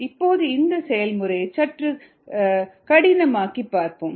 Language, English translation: Tamil, now let us complicate this process a little bit